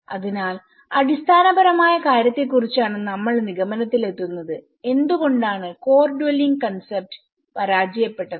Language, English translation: Malayalam, So here, what we are concluding on the very fundamental why the core dwelling concept have failed